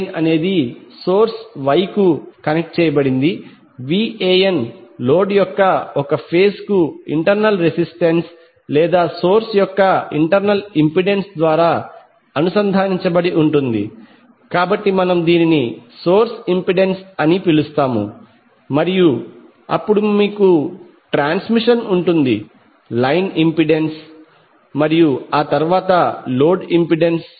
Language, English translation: Telugu, So how it will look like if you see this particular figure the source is Y connected VAN is connected to the A phase of the load through internal resistance or internal impedance of the source, so we will call it as source impedance and then you will have transmission line impedance and then the load impedance